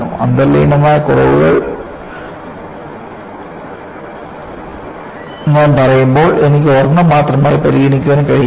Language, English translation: Malayalam, When I say inherent flaws, I cannot consider only one